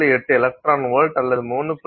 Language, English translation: Tamil, 8 electron volts as well as 3